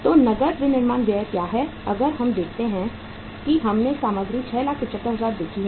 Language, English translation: Hindi, So what is the cash manufacturing expenses if we see uh we have seen the material is 6,75,000